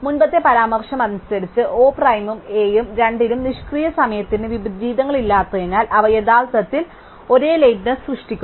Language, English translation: Malayalam, And by the previous remark, since O prime and A both have no inversions no idle time, they must actually produce the same lateness